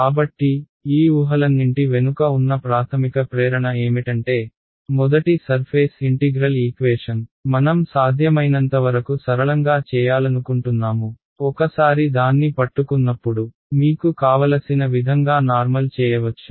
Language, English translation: Telugu, So, I mean the basic motivation behind all of these assumption is there are first surface integral equation we want to make it as simple as possible ok, once you get the hang of it you can generalize whichever way you want